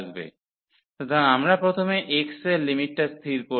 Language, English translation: Bengali, So, the we will fix first the limit of x